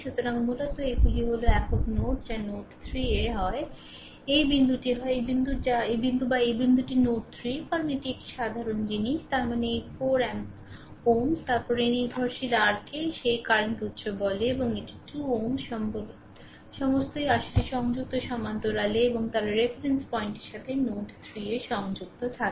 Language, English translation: Bengali, So, basically these are at this is a single node that is node 3 right either this point either this point or this point or this point this is node 3 because it is a common thing; that means, this 4 ohm then this dependent ah what you call that current source and this is 2 ohm all are in actually connected parallel and right they are connected to node 3 to the reference point right